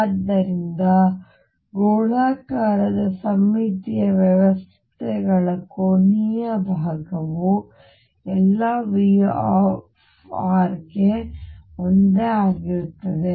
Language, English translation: Kannada, So, angular part of psi for spherically symmetric systems is the same for all V r